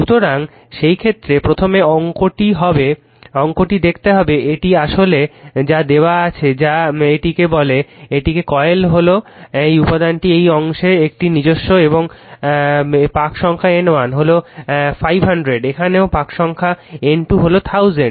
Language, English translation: Bengali, So, in that case first you see the problem it is actually what is given that your you have to this is one your what you call this is coil is own on this on this part of this material right and number of turns N 1 is 500 and here also N 2 is N 2 is equal to 1000 turns right